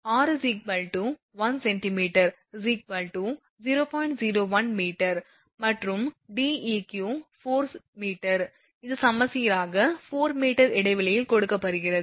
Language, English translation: Tamil, 01 meter and Deq 4 meter it is given symmetrically 4 meter apart